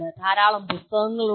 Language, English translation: Malayalam, There are lots of books